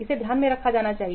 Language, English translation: Hindi, That should be kept in mind